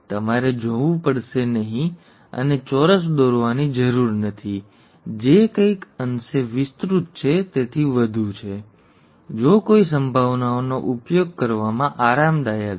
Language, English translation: Gujarati, So you don’t have to go and draw squares which is somewhat elaborate and so on, if one is comfortable with using probabilities